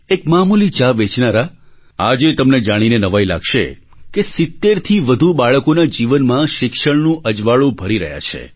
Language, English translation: Gujarati, A meagre tea vendor; today you will be surprised to know that the lives of more than 70 children are being illuminated through education due to his efforts